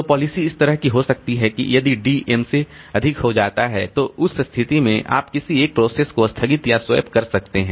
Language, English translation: Hindi, So, policy can be like this, that if D becomes greater than M, in that case, you suspend or swap out one of the processes